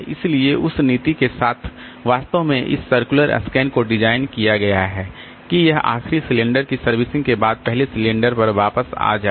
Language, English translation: Hindi, So, with that policy actually this circular scan has been designed that it comes back to the first cylinder after servicing the last cylinder